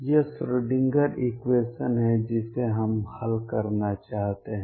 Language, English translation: Hindi, This is a Schrödinger equation that we want to solve